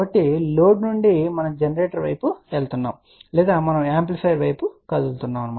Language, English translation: Telugu, So, from the load we are moving towards generator or we are moving towards amplifier